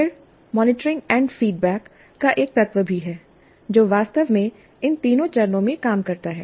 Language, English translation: Hindi, Then there is also a component of monitoring and feedback which actually works throughout all these three phases